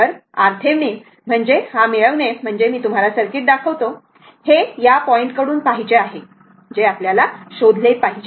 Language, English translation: Marathi, So, R Thevenin means your for getting Thevenin I showed you the circuit, this is for looking from this point you have to find out